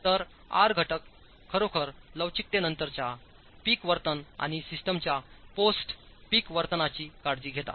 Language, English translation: Marathi, So the R factors actually taking care of post peak behavior, inelasticity and post peak behavior of the system